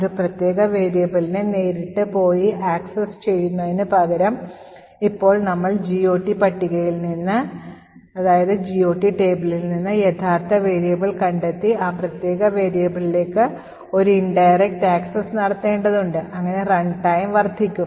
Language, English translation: Malayalam, Instead of directly going and accessing a particular variable, now we need to find out the actual variable from the GOT table and then make an indirect access to that particular variable, thus resulting in increased runtime